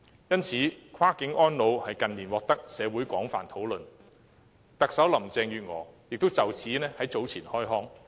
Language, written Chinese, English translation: Cantonese, 因此，跨境安老近年在社會獲廣泛討論，特首林鄭月娥亦就此在早前開腔。, Therefore cross - boundary elderly care is widely discussed in the community in recent years and the Chief Executive Carrie LAM also commented on this earlier